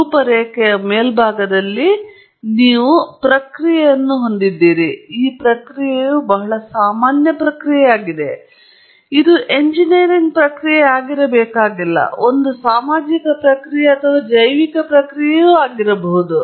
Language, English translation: Kannada, At the top of the schematic, you have process, and this process is a very generic process; it need not be an engineering process; it could be a social process or a biological process and so on